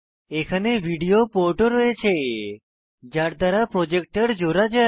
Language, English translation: Bengali, There is a video port, using which one can connect a projector to the laptop